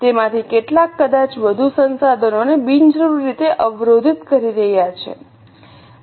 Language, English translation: Gujarati, Some of them may be blocking more resources unnecessarily